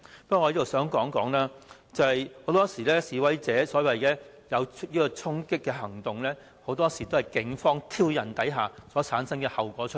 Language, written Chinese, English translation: Cantonese, 不過，我想指出，很多時示威者作出所謂"衝擊"行動，很多時是警方挑釁所產生的後果。, However I wish to point out that in many cases the so - called violent charging acts of demonstrators are actually the consequences of provocation on the part of the Police